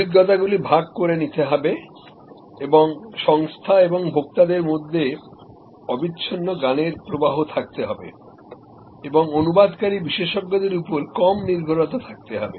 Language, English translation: Bengali, Experiences are to be shared and there has to be a continuous knowledge flow between the organization and the consumer and less reliance on interpreting experts